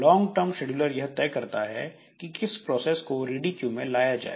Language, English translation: Hindi, And this long term scheduler, so it will select which processes should be brought into the ready queue